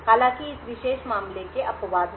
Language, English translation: Hindi, However, there are exceptions to this particular case